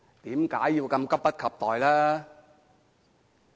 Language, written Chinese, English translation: Cantonese, 為何如此急不及待？, Why has it acted so anxiously?